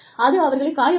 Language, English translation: Tamil, It is going to hurt you